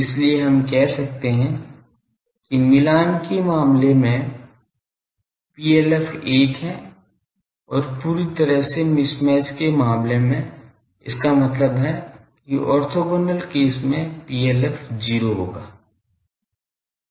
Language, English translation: Hindi, So, we can say that matched case PLF is 1 and fully mismatch case; that means orthogonal case PLF will be 0